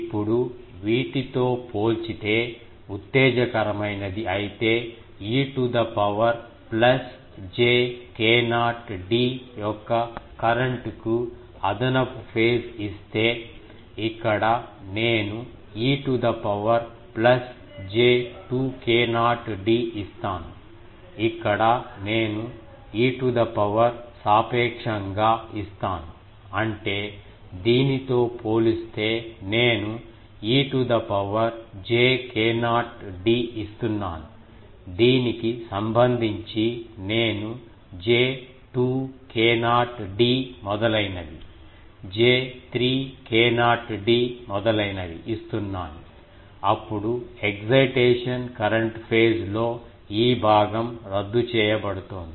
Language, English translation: Telugu, Now, if while exciting compared to these, I give if extra phase in the current of e to the power plus j k not d; here I give e to the power plus j 2 k not d, here I give e to the power relatively; that means, compared to this I am giving e to the power j k not d, relative to this I am giving j 2 k not d etc